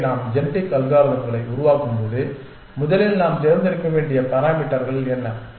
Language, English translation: Tamil, So, when we devise genetic algorithms what are the parameters that we have to select the first